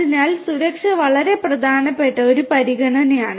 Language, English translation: Malayalam, 0 safety is a very important consideration